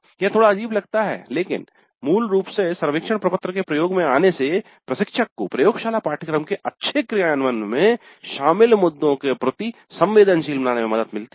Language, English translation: Hindi, Now it looks a little bit peculiar but basically the exposure to the survey form would help sensitize the instructor to the issues that are involved in good implementation of a laboratory course